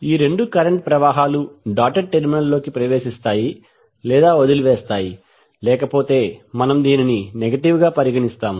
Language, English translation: Telugu, Both currents enter or leave the dotted terminals otherwise we will consider as negative